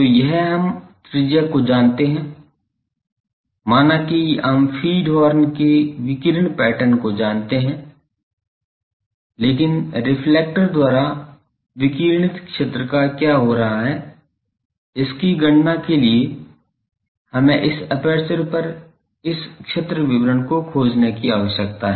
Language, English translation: Hindi, So, this we know the radius suppose, we know the radiation pattern of the feed horn, but to calculate what is happening to the radiated field by the reflector we need to find this field distribution on this aperture